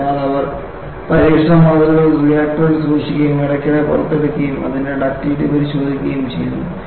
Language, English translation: Malayalam, So, what they do is, they keep test specimens in the reactor and take out periodically and tests it is ductility